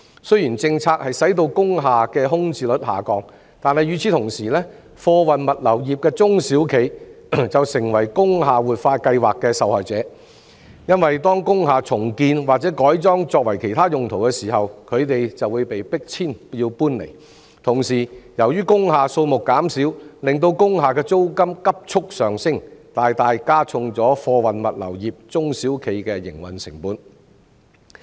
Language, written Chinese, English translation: Cantonese, 雖然政策促成工廈的空置率下降，但與此同時，貨運物流業的中小企卻成為工廈活化計劃的受害者，因為當工廈重建或改裝作其他用途時，他們均會被迫搬遷；同時，由於工廈數目減少，令租金急速上升，大大加重了貨運物流業中小企的營運成本。, The policy has forged the reduction of vacancies in industrial buildings but at the same time the small and medium enterprises engaging in the freight and logistic businesses are turned into victims of the industrial building revitalization scheme because when industrial buildings are rebuilt or converted into other purposes they are forced to relocate . Moreover as the number of industrial buildings has reduced their rents have soared thus imposing a heavy burden on the operating costs of the small and medium enterprises engaging in the freight and logistic businesses